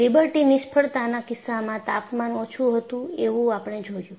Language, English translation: Gujarati, And in the case of Liberty failure, you found that there was low temperature